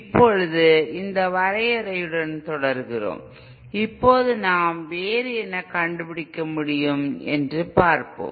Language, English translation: Tamil, Now proceeding with this definition, now let us see what else we can um we can find